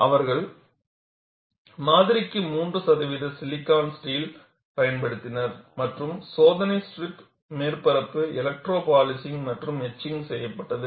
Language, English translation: Tamil, And what they did was, they used 3 percent silicon steel for the specimen, and the surface of the test pieces were electro polished and etched, and this etching is a very special process